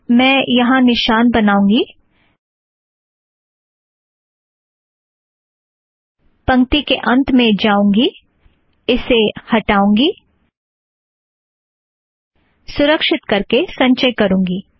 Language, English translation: Hindi, Let me just come here, mark it, go to the end of the line, delete it, save it, compile it